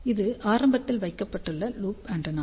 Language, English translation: Tamil, This is one of the application of the loop antenna